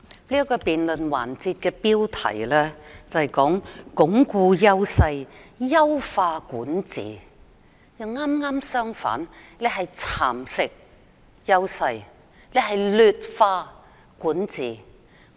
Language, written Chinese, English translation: Cantonese, 這個辯論環節的標題，是"鞏固優勢、優化管治"，但事實卻剛好相反，是"蠶蝕優勢、劣化管治"。, The theme of this debate session is Reinforcing Our Strengths Enhancing Governance . Unfortunately the truth is just the opposite which is Encroaching on Our Strengths Weakening Governance